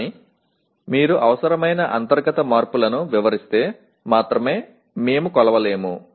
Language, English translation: Telugu, But if only if you describe the internal changes that are required we will not be able to measure